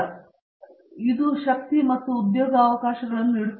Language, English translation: Kannada, To me these are the strengths, which give them the job opportunities